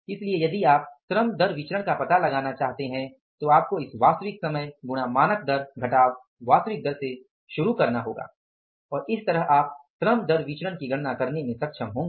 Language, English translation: Hindi, So, if you want to find out labor rate of pay variance, you have to start with this actual time into standard rate minus actual rate and that way you will be able to calculate the labor rate of the pay variances